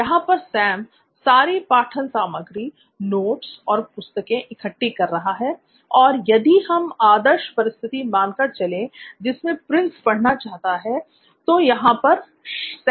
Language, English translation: Hindi, Going back to B1 that would be getting all the study material, notes and textbooks considering an ideal situation where Prince wants to study, so it is a happy Prince here